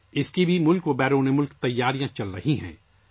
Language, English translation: Urdu, Preparations are going on for that too in the country and abroad